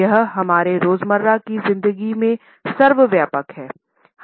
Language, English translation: Hindi, They are in ubiquitous feature of our everyday life